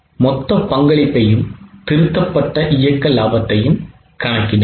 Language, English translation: Tamil, So, compute the total contribution and the revised operating profit